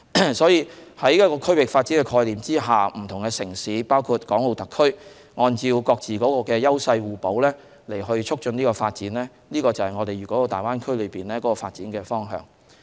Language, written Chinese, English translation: Cantonese, 因此，在一個區域發展的概念下，不同城市，包括港澳特區，按照各自的優勢互補，促進發展，這便是粵港澳大灣區的發展方向。, These are the comparative advantages really brought out by ourselves . Therefore under the concept of regional development different cities including the Hong Kong and Macao SARs will complement each other with their own edges in promoting development . This is the development direction of the Greater Bay Area